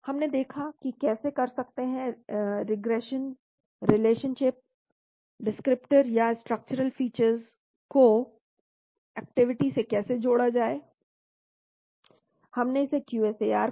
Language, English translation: Hindi, We looked at how to do regression, relationships, connecting descriptors or structural features with activity, we called it a QSAR